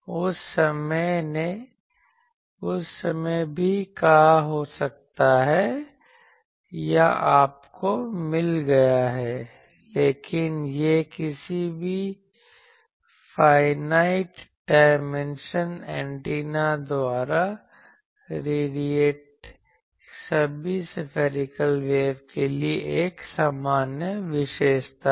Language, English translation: Hindi, That time also may have said or you have got it, but this is a general feature for all spherical waves radiated by any finite dimension antenna